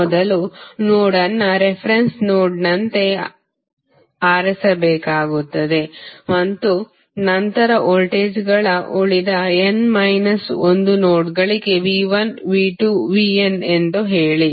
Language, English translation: Kannada, First you have to select a node as the reference node then assign voltages say V 1, V 2, V n to the remaining n minus 1 nodes